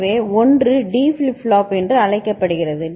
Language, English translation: Tamil, So, one is called D flip flop